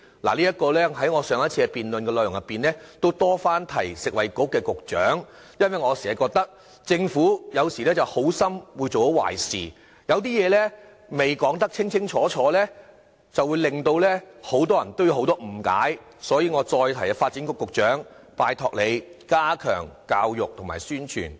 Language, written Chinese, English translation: Cantonese, 我在我上次的辯論發言的內容，已多番提醒食物及衞生局局長，因為我覺得政府有時候會好心做壞事，有很多事情未能說得清楚，令人產生很多誤解，所以我再次提醒發展局局長，拜託他加強教育和宣傳。, In some cases the Government has done itself a disservice by not sufficiently explaining its good policies . Misunderstandings would thus arise . Hence I have to remind the Secretary for Development once again that he has to step up the education and publicity efforts